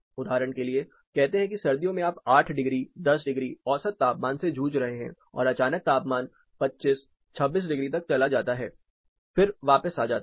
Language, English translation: Hindi, For example, you are dealing with say you know 8 degree, 10 degree temperature average temperature during winter suddenly there is a increase you get 25, 26 degrees and then it drops back